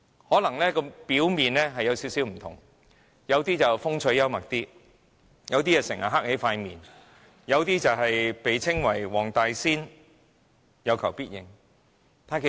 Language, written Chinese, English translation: Cantonese, 可能他們表面略有不同，有人較風趣幽默，有人整天板着臉，有人被稱為"黃大仙"，有求必應。, Their difference may be superficial one is more humorous one keeps a straight face all the time and the other grants the wishes of all people